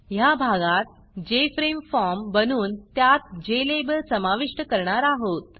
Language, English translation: Marathi, In this section, we will create the Jframe form and add a Jlabel to the form